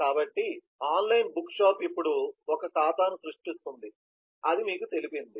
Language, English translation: Telugu, so this says online book shop is creating an account